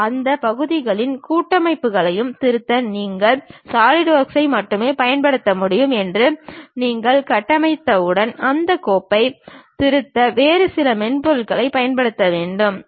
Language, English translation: Tamil, That means, once you construct that you can use only Solidworks to edit that parts and assemblies, you cannot use some other software to edit that file